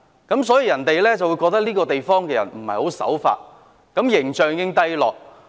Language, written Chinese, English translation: Cantonese, 別人覺得這個地方的人不守法，令香港形象低落。, There are perceptions that the people in this place defy the law presenting a poor image of Hong Kong